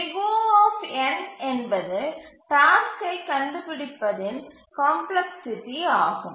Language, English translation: Tamil, N is the complexity of finding the task